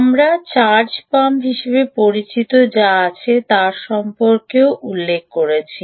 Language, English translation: Bengali, we also mentioned about the fact that there are what are known as charge pumps